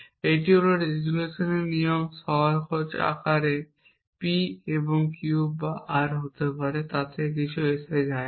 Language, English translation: Bengali, We can derive Q or S this is the resolution rule in the simplest form it could be P and Q or R also does not matter